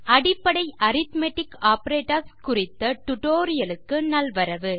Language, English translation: Tamil, Welcome to this tutorial on basic arithmetic operators